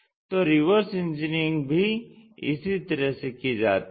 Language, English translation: Hindi, In that sense a reverse engineering goes in this way